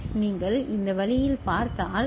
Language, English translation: Tamil, So, if you look at this way